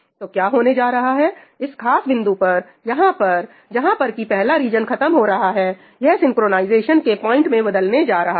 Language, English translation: Hindi, So, what is going to happen this particular point over here where this parallel region is ending, turns out to be a point of synchronization